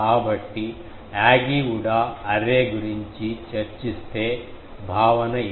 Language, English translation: Telugu, So, when will discuss the Yagi Uda array, the concept is this